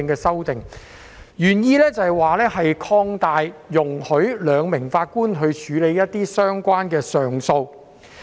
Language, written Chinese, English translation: Cantonese, 修訂原意是容許由兩名法官處理一些相關的上訴案件。, The original intent of the amendment is for a 2 - Judge bench to handle some related appeal cases